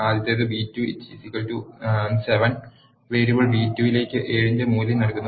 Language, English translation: Malayalam, The first one, b2 is equal to 7, assigns the value of 7 to the variable b2